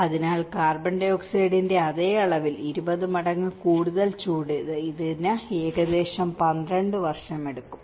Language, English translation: Malayalam, So, this takes about 12 years over 20 times more heat than the same amount of CO2